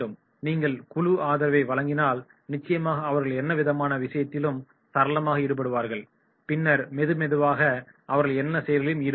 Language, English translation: Tamil, If you provide the full support and definitely they will be having all the sort of the involvement and slowly and slowly they will be active